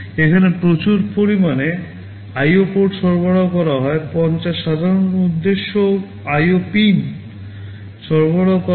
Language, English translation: Bengali, There are fairly large number of IO ports that are provided, 50 general purpose IO pins are provided